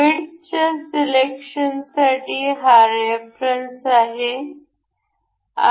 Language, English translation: Marathi, This is the reference for the width selections